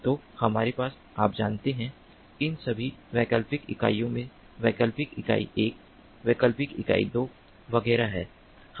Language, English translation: Hindi, so we have, you know, in all these optional units, optional unit one, optional unit two, etcetera, etcetera